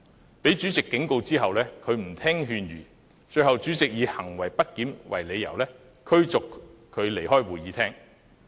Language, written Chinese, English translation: Cantonese, 他被主席警告後，仍然不聽勸諭，最後被主席以行為不檢為理由，把他逐出會議廳。, He was warned by the President but he still failed to heed his advice . Eventually he was ordered by the President to leave the Chamber because of his grossly disorderly conduct